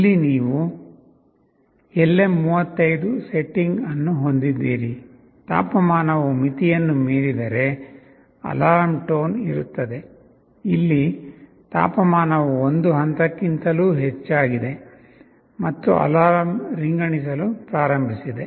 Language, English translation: Kannada, Here you have the LM35 setting; if temperature exceeds the threshold, there will be an alarm tone here you see the temperature has just increased beyond a level and this alarm has started to ring